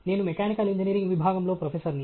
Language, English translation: Telugu, I am a professor in the Department of Mechanical Engineering